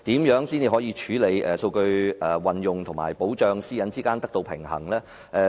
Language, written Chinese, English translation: Cantonese, 如何在處理數據運用和保障私隱之間得到平衡？, How can a balance be struck between the use of data and the protection of privacy?